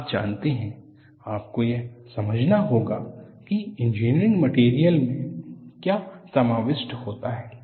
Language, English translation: Hindi, You know, you will have to understand what an engineering materials contain